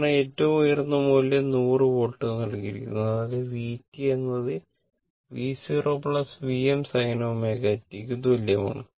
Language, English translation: Malayalam, Because, peak value is given 100 volts right and it is; that means, V t is equal to V 0 plus V m sin omega t